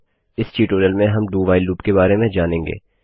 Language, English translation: Hindi, In this tutorial, we will learn the DO WHILE loop